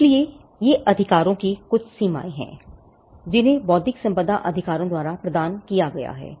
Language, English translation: Hindi, Now, there are certain limits that are posed by intellectual property rights